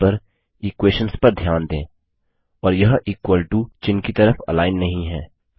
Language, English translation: Hindi, Notice the equations on the screen, and they are not aligned on the equal to character